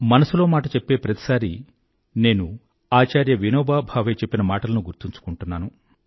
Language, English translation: Telugu, In Mann Ki Baat, I have always remembered one sentence of Acharya Vinoba Bhave